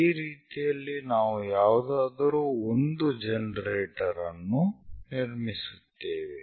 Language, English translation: Kannada, So, this is the way we will construct one of the generator